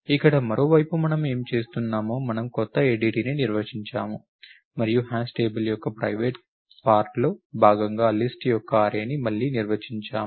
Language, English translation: Telugu, Here in the other hand what we are doing, we define a new ADT and we defining again as part of the private part of the hash table an array of list